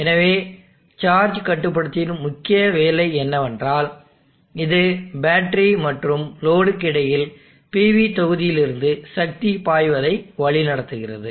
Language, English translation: Tamil, So the main job of the charge controller is that it steers the power flow from the PV module between the battery and the load